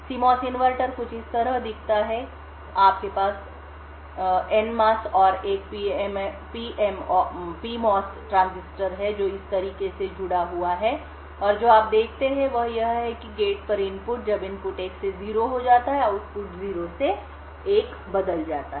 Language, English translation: Hindi, A CMOS inverter look something like this, you have and NMOS and a PMOS transistor which are connected in this manner and what you see is that when the input at the gate, when the input goes from 1 to 0, the output changes from 0 to 1